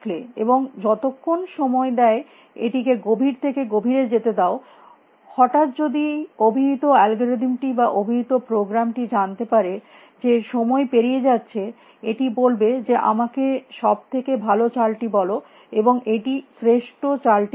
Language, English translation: Bengali, And let it go deeper and deeper as long as time allows suddenly if the calling algorithm calling program knows that time is running out will say tell me the best move, and it will play the best move